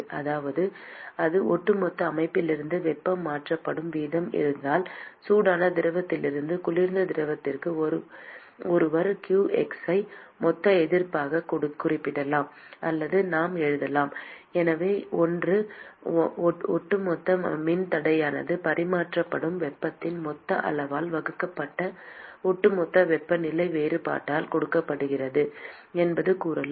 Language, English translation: Tamil, So, if this is the total amount of rate at which the heat is transferred from the overall system from the hot fluid to the cold fluid, then one could represent q x as the total resistance or maybe we should write so, one could say that the overall resistance is simply given by the overall temperature difference divided by the total amount of heat that is being transferred